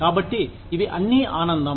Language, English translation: Telugu, So, it is all pleasure